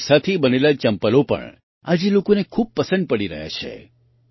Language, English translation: Gujarati, Chappals made of this fiber are also being liked a lot today